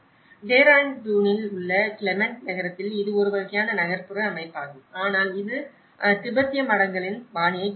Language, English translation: Tamil, Whereas in Clement town in Dehradun it is more of a kind of urban setting but still it has a fabric of the Tibetan monasteries and the scale of the buildings is different here